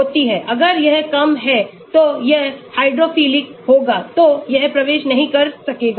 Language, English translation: Hindi, If it is lower, it will be hydrophilic, so it might not enter